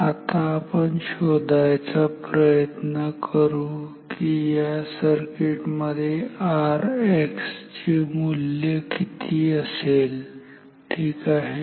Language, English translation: Marathi, Now, so let us find out what will be the measured value of R X in this circuit ok